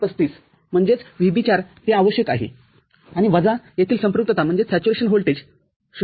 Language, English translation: Marathi, 35 that is VB4 that is required, and minus the saturation voltage over here 0